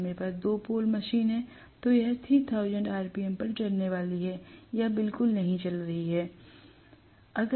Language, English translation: Hindi, If I have 2 pole machine, it is going to run at 3000 rpm or run, not run at all